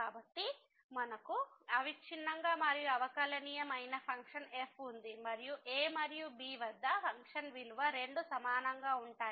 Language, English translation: Telugu, So, we have a function which is continuous and differentiable and the function value at and both are equal